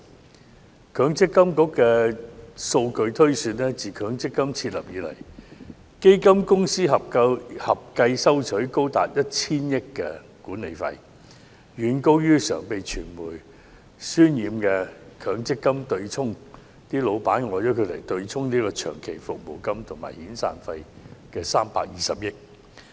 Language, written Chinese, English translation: Cantonese, 根據強制性公積金計劃管理局的數據推算，自強積金設立以來，基金公司合計收取高達 1,000 億元的管理費用，遠高於常被傳媒渲染的強積金對沖即公司老闆用以對沖長期服務金和遣散費的320億元。, According to the data of the Mandatory Provident Fund Schemes Authority it is estimated that since the inception of MPF the total amount of management fees charged by fund companies has reached 100 billion much higher than the 32 billion used by employers to offset long service payments and severance payments―a mechanism which has been hyped by the media . The latest median monthly income of Hong Kong employees stands at 16,800 . Take this amount as an example